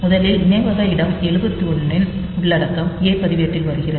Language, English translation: Tamil, So, first byte 78 the bytes the memory location 78 content comes to the a register